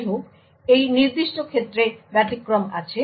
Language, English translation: Bengali, However, there are exceptions to this particular case